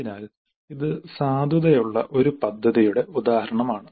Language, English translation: Malayalam, So this is an example of a valid plan